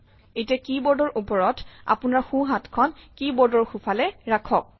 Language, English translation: Assamese, On your keyboard place your left hand, on the left side of the keyboard